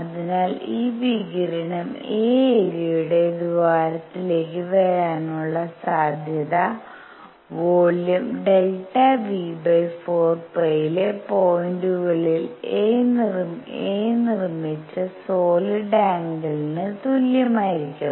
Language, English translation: Malayalam, So, the probability that this radiation comes into the hole of area a is going to be equal to the solid angle made by a on points in volume delta V divided by 4 pi